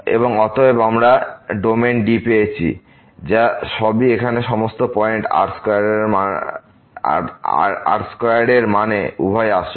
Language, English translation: Bengali, And therefore, we get the domain D which is all contains all the points here in means both are the real